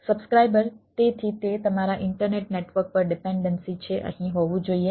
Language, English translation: Gujarati, so it is dependency on the on your internet network should be here